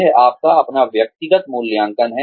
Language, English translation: Hindi, This is your own personal assessment